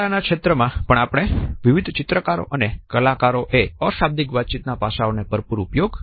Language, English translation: Gujarati, In art also we find that various painters and artists have utilized richly the nonverbal aspects of communication